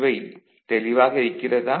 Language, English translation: Tamil, Is it clear